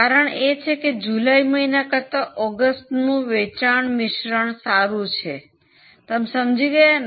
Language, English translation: Gujarati, The explanation was that the sales mix of August is much better than that of July